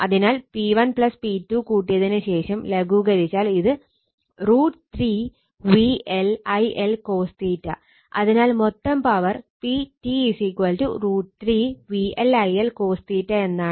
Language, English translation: Malayalam, So, P 1 plus P 2 and simplified , you will see it will become root 3 V L I L cos theta , and total that means, P T is P T actually is a total power